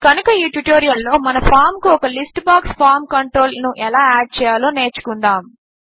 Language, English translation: Telugu, So in this tutorial, we will learn how to add a List box form control to our form